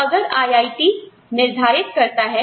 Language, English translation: Hindi, So, IIT says, we have a name